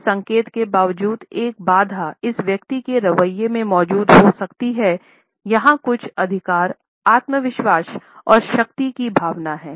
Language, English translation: Hindi, Despite this indication that a barrier may be present in the attitude of this individual we find that it suggest is certain authority is sense of superiority confidence and power